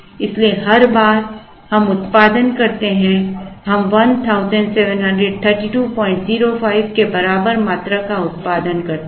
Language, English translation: Hindi, So, every time we produce, we produce quantity equal to1732